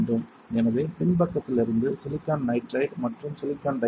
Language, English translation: Tamil, So, silicon nitride from the backside followed by silicon dioxide